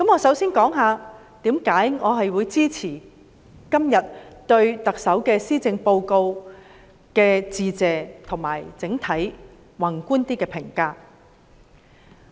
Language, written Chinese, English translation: Cantonese, 首先，我會談談我支持今天對特首施政報告致謝的原因，以及整體較宏觀的評價。, First I would like to talk about the reasons for showing appreciation for the Chief Executives Policy Address today and my comments on the Policy Address as a whole from a relatively macroscopic perspective